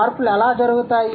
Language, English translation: Telugu, How do the changes happen and why